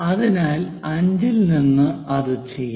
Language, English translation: Malayalam, So, let us do that it 5